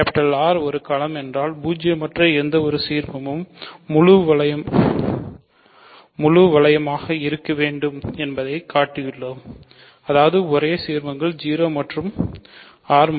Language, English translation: Tamil, If R is a field we have shown that any non zero ideal must be the full ring so; that means, the only ideals are 0 and R